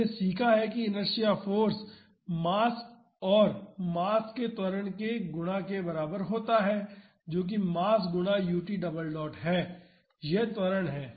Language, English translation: Hindi, We have learned that inertia force is equal to mass times the acceleration of the mass that is mass times u t double dot this is the acceleration